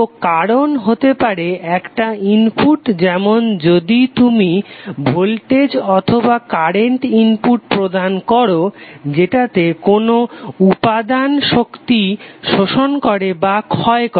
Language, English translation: Bengali, So cause can be an input like if you provide voltage or current input which causes the element to either absorb or dissipate the energy